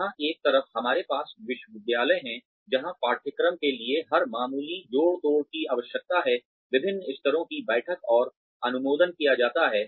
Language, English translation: Hindi, Where, on the one hand, we have universities, where every minor addition to the curriculum requires, various levels of meetings and approvals